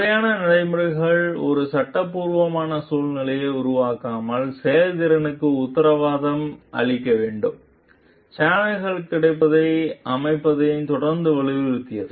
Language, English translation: Tamil, The formal procedures must guarantee the process without creating a legalistic atmosphere, the organization was continuously emphasized the availability of channels